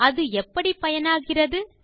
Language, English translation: Tamil, Now how is that useful